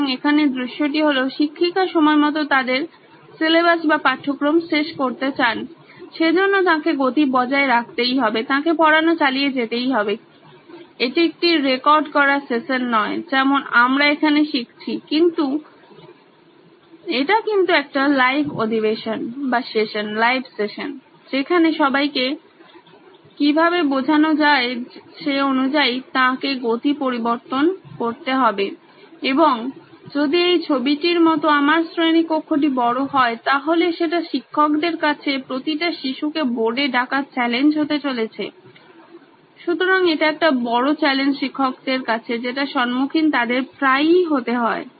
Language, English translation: Bengali, So, here the scenario is that the teacher wants to finish their syllabus on time which means she has to keep the pace up, she has to keep going and this is not a recorded session like what we are doing with you but this is a live session where she has to change pace according to how people understand and if I have a large class like what you see in the picture it is going to be a challenge for the teacher to keep every child on board, so this is a challenge that teachers often face